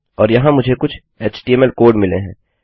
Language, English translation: Hindi, And here I have got some html code